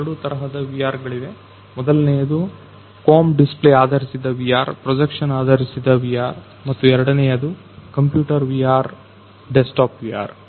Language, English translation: Kannada, There are two kinds of VR that is one is your come display base VR, projection based VR and second is your computer VR desktop VR